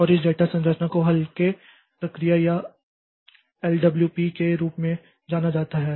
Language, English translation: Hindi, And this data structure is known as lightweight process or LWP